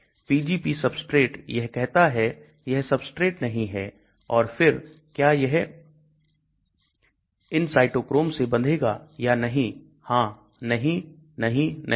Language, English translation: Hindi, Pgp substrate, it says it is not a substrate and then does it go and bind to these cytochromes, yes, no, no, no